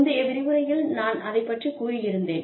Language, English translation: Tamil, Which is what, I talked about, in the previous lecture